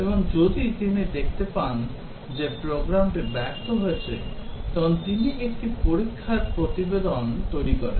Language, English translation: Bengali, And, if he finds that the program has failed, prepares a test report